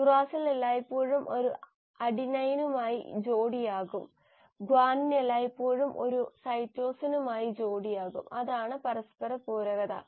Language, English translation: Malayalam, The uracil will always pair with an adenine and guanine will always pair with a cytosine; that is the complementarity